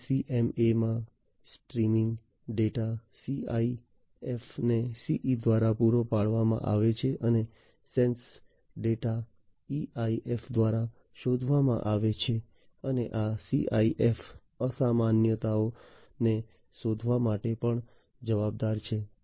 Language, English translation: Gujarati, In SDCMA, the streaming data is supplied to the EIF by the CE, and the sense data is detected by the EIF, and this EIF is also responsible for detecting the abnormality